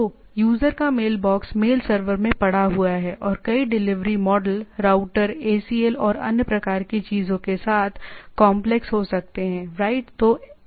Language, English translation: Hindi, So, user’s mailbox is lying in the mail server, can be complex with numerous delivery models routers ACLs and type of things, right